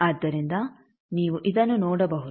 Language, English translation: Kannada, So, you can see this